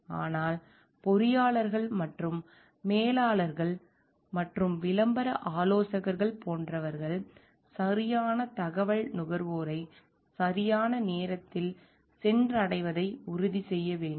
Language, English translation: Tamil, But engineers and managers and advertising consultants like should make it very sure like the right information reaches the consumers on time